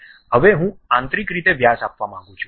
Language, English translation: Gujarati, Now, I would like to give internally the diameter